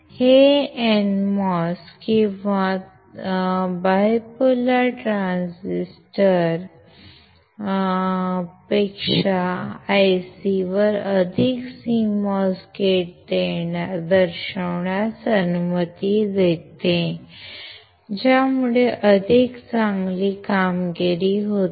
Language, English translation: Marathi, This allows indicating more CMOS gates on an IC, than in NMOS or bipolar technology resulting in a better performance